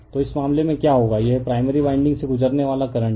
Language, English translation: Hindi, So, in this case what will happe,n this is the current going through the primary winding